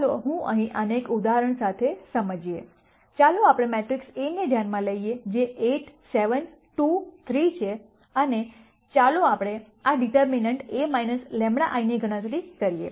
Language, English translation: Gujarati, Let me illustrate this with an example here, let us consider the matrix A which is 8 7 2 3 and let us compute this determinant A minus lambda I